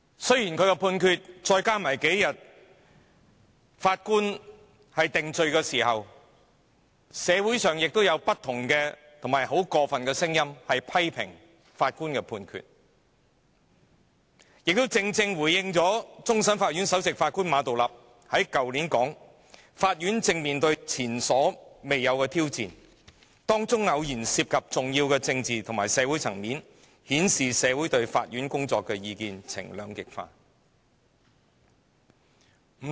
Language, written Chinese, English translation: Cantonese, 雖然這數天，社會上對法官作出的定罪有種種過分的聲音，批評法官的判決，但亦正正回應了終審法院首席法官馬道立去年說的話："法院正面對前所未有的挑戰，當中偶然涉及重要的政治及社會層面，顯示社會對法院工作的意見呈兩極化"。, In the past few days comments about the conviction made by the Judge in the community have gone too far to the extent of criticizing the Judgment made by the Judge . However this scenario rightly corresponds to the remarks made by Geoffrey MA the Chief Justice of the Hong Kong Court of Final Appeal last year that Hong Kongs courts now face more than at any other time in their history challenges which sometimes assume significant political and social dimensions in which the courts work had been debated by a polarised public